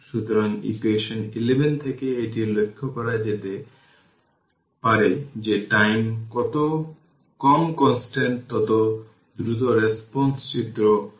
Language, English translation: Bengali, So, it can be observed from equation 11 that the smaller the time constant the faster the response this is shown in figure four